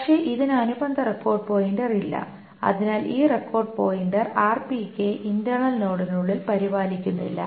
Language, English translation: Malayalam, So this record pointer is not maintained inside the internal node